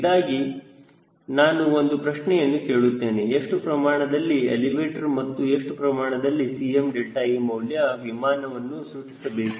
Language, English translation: Kannada, so i am asking a question: how much elevator and how much c m delta e value the aircraft should be able to generate